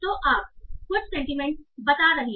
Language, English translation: Hindi, So you are reporting some sentiment